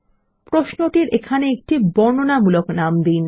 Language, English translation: Bengali, Let us give a descriptive name to our query here